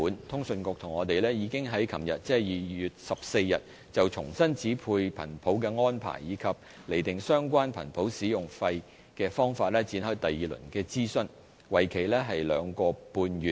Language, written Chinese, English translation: Cantonese, 通訊事務管理局和我們已在昨日就重新指配頻譜的安排，以及釐定相關頻譜使用費的方法展開第二輪諮詢，為期兩個半月。, The Communications Authority and the Commerce and Economic Development Bureau yesterday 14 February launched the second round of public consultation on the proposed reassignment arrangements and the proposed method for setting the related spectrum utilization fee . The consultation will last for two and a half months